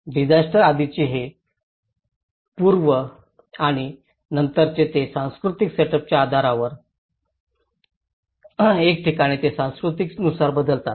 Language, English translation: Marathi, These pre and post disaster approaches they vary with from place to place, culture to culture based on the cultural setup